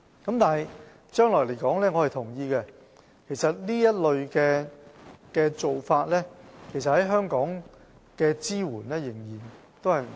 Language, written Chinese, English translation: Cantonese, 就將來而言，我同意這類做法在香港的支援仍然不足。, In the long term I agree that support for this kind of services is still inadequate in Hong Kong